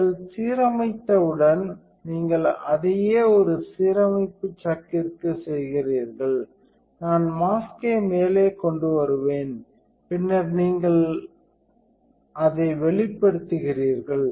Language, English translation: Tamil, And then once you have aligned that you do the same thing into a alignment chuck and I will bring the mask up and then you would expose it